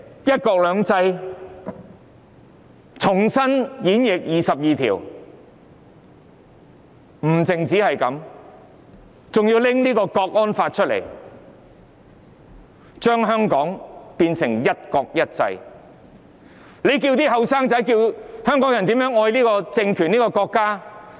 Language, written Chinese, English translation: Cantonese, 不單如此，現時還要在香港直接訂立港區國安法，把香港變成"一國一制"，那要年青人和香港人怎樣愛這個政權和國家？, Worse still the authorities are now going to implement the national security law in Hong Kong direct to change Hong Kong into one country one system . Given all these how could young people and the people of Hong Kong love the regime and the country?